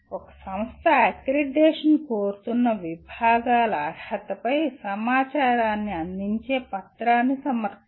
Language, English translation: Telugu, An institution submits a document providing information on eligibility of the departments seeking accreditation